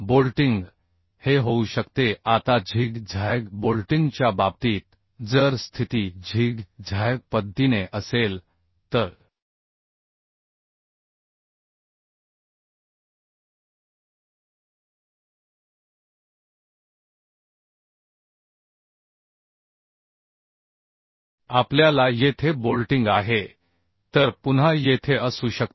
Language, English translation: Marathi, Now, in case of zig zag bolting, if position will be in a zig zag way, so we have bolting here, then we have bolting here may be again here here